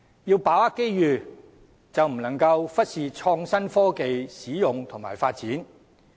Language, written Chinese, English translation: Cantonese, 要把握機遇，便不能忽視創新科技的使用和發展。, This I support . To seize opportunities we must not neglect the application and development of innovative technology